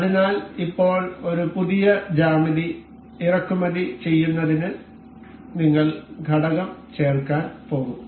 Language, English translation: Malayalam, So, now, to import a fresh geometry we will go to insert component